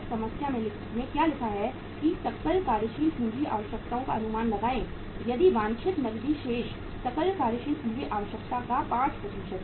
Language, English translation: Hindi, What is written in the problem is that estimate the gross working capital requirements if the desired cash balance is 5% of the gross working capital requirement